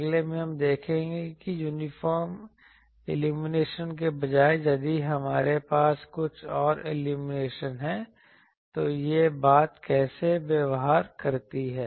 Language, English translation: Hindi, In the next, we will see that instead of uniform illumination if we have some other illumination, how this thing behaves